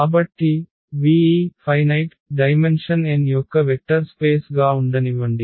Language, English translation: Telugu, So, let V be a vector space of this finite dimension n